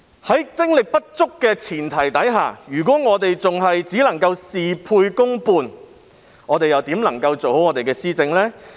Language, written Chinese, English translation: Cantonese, 在精力有限的前提下，政府只能事倍功半，那如何能夠做好施政呢？, When the Government is only able to get half the results with twice the effort how can it possibly achieve good governance given its limited energy?